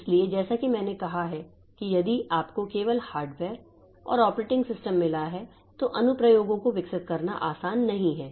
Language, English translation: Hindi, So, so if you as I said that if you have got only the hardware and the operating system, then it is not easy to develop applications